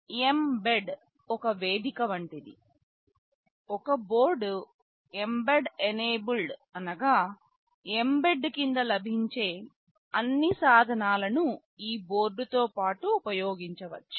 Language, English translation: Telugu, Well, mbed is like a platform; if a board is mbed enabled then all the tools that are available under mbed can be used along with this board